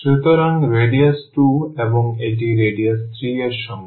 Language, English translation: Bengali, So, with radius 2 and this with radius 3